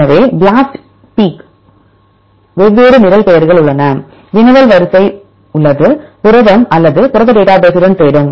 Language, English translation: Tamil, So, there are different program names for example BLASTp, there is query sequence is protein it will search with the protein database